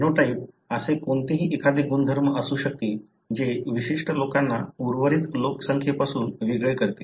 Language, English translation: Marathi, A phenotype could be any character that distinguishes certain individuals from the rest of the population